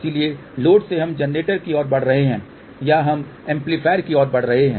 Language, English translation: Hindi, So, from the load we are moving towards generator or we are moving towards amplifier